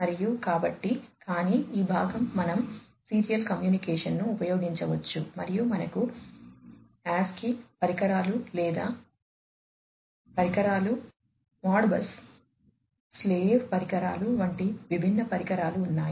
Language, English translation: Telugu, And, so, but this part we can use the serial communication, and we have this different devices such as the ASC II devices or, the slave devices, Modbus slave devices, and so on